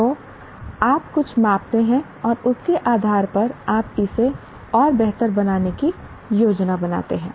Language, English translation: Hindi, So you measure something and based on that you plan to improve it further